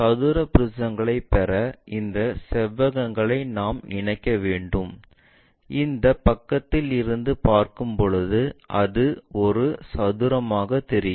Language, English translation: Tamil, To get square prisms we have to connect these rectangles in such a way that from this view it makes square